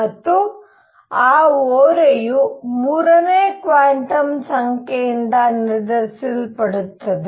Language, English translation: Kannada, And that tilt is going to be decided by a third quantum number